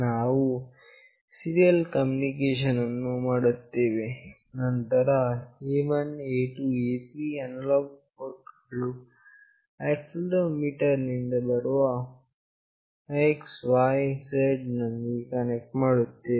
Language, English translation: Kannada, We have built a serial connection, then A1, A2, A3 analog ports are connected with X, Y, Z out of the accelerometer